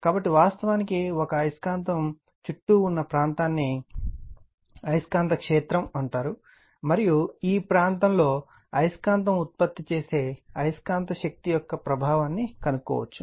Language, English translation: Telugu, So, just a magnetic circuit actually, the area around a magnet is called the magnetic field right that you know and it is in this area that we are what you call that the effect of the magnetic force produced by the magnet can be detected right